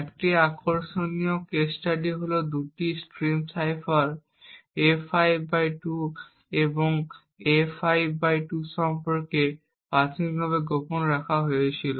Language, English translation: Bengali, An interesting case study is about the two stream ciphers A5/1 and A5/2 which pair initially kept secret